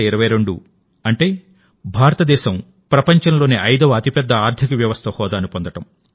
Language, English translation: Telugu, India attaining the status of the world's fifth largest economy; 2022, i